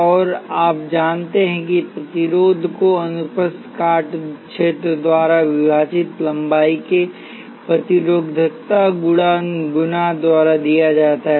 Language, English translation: Hindi, And you know that the resistance is given by the resistivity times the length divided by cross sectional area